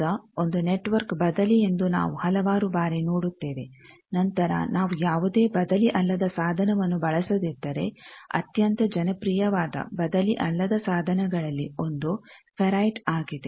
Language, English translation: Kannada, Now, various times we see that a network is reciprocal then if we do not use any non reciprocal device, 1 of the very popular non reciprocal device is ferrite